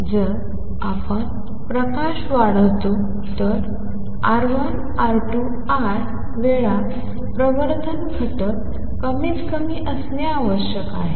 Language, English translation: Marathi, If the light is to we amplify it then R 1, R 2, I times the amplification factor must be at least one that is the critical